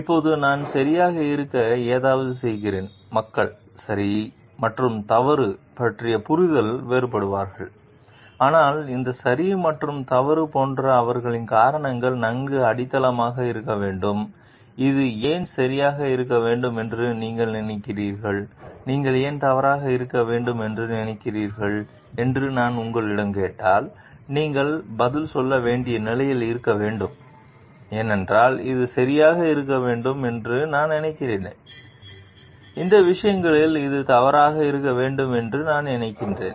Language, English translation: Tamil, Now, I am making something to be right, people will be differing in their understanding of right and wrong, but these right and wrong should be well grounded in their reasons for like, if I ask you, why you think this to be right, why you think that to be wrong then, you must be in a position we must be in a position to answer I think this is to be right because, of these things I this think this to be wrong because, of these things